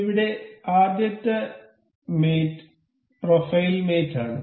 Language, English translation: Malayalam, The first mate here is profile mate